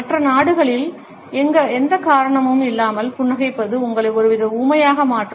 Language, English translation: Tamil, In other countries though, smiling for no reason can make you seem kind of dumb